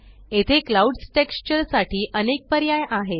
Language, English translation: Marathi, Here are various options for the clouds texture